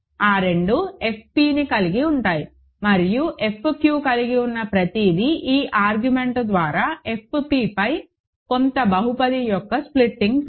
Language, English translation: Telugu, And everything all both of those contain F p and F q is splitting field of some polynomial over F p by this argument